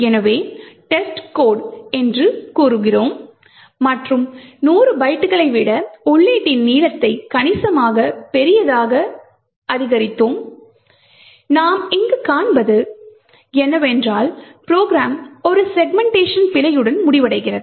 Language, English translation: Tamil, Now look what happens when we increase the length of the input so we say test code and increased the length of the input considerably much larger than the 100 bytes and what we see here is that the program terminates with a segmentation fault